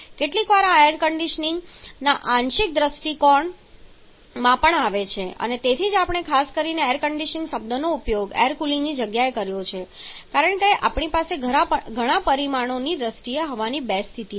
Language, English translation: Gujarati, And sometimes it also comes under the part view of this air conditioning and that is why we specifically used the term air conditioning not air cooling because we have two condition the air in terms of table parameters